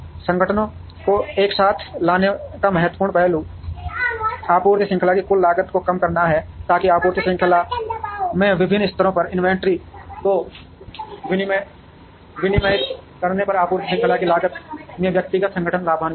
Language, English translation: Hindi, The important aspect of getting the organizations together is to reduce the total cost of the supply chain, so that individual organizations benefit by that cost of the supply chain will come down if the inventory at the various levels of the supply chain are regulated